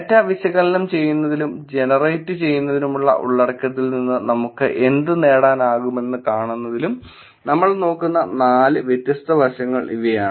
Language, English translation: Malayalam, These are the four the different aspects that we will look at in terms of analyzing the data and seeing what we can draw from the content that is getting generated